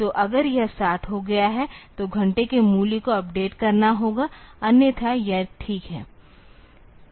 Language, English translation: Hindi, So, if it has become 60 then the hour value has to be updated otherwise this is fine